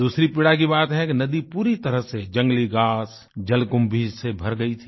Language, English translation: Hindi, The second painful fact was that the river was completely filled with wild grass and hyacinth